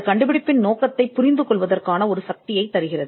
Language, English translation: Tamil, Useful for understanding the scope of the invention and it is enablement